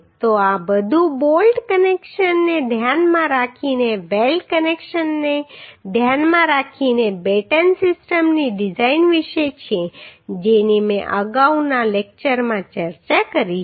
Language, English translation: Gujarati, So this is all about the design of batten system considering weld connection considering bolt connection which I have discussed in earlier lecture